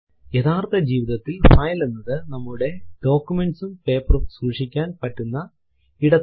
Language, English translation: Malayalam, In real file a file is where we store our documents and papers